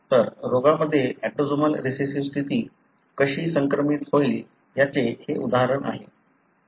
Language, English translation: Marathi, So, that’s the example of, how autosomal recessive condition would be transmitted in a disease